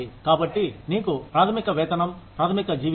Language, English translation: Telugu, So, you have a basic pay, basic salary